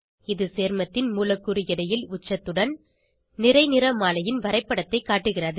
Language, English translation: Tamil, It shows a graph of mass spectrum with a peak at Molecular weight of the compound